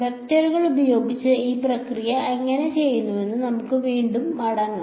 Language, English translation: Malayalam, We can again go back to how we had done this process with vectors right